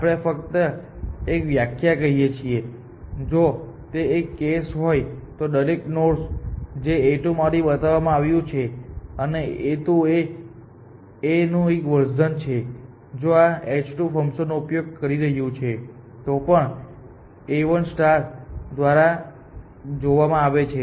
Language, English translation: Gujarati, Just a definition, we say then if this is the case then every node seen by a 2 and a 2 is 1 version of a star, which is using this h 2 function is also seen by A 1 star